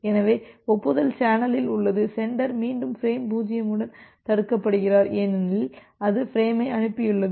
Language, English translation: Tamil, So, the acknowledgement is there in the channel the sender is again blocked with the frame 0, because it has transmitted that